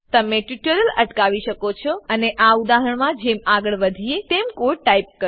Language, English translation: Gujarati, You can pause the tutorial, and type the code as we go through this example